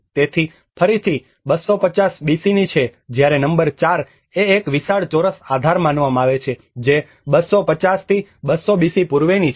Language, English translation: Gujarati, So, that is again goes back to 250 BC\'eds whereas number 4 which is supposed a huge square base which is between 250 to 200 BC\'eds